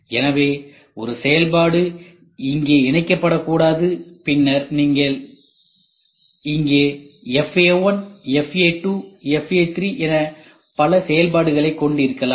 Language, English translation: Tamil, So, one function should not be linked here and then here you can have multiple functions FA1, FA2, FA3 whatever it is